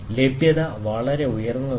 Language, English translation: Malayalam, The availability is pretty high